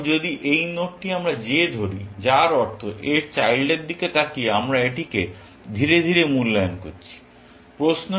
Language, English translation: Bengali, Now, if this node we will call j, which means, we are evaluating this slowly, by looking at its children